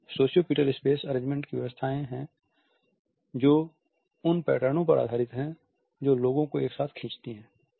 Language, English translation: Hindi, And sociopetal space arrangements are those arrangements which are based on those patterns which pull people together